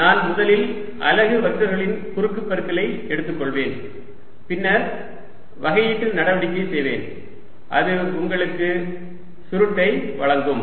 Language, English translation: Tamil, i'll first take the cross product for unit vectors and then do the differential operation and that'll give you the curl